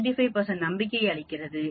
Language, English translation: Tamil, 5 is 5 percent that means that gives you 95 percent confidence